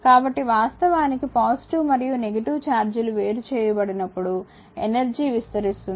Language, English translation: Telugu, So, actually whenever positive and negative charges are separated energy actually is expanded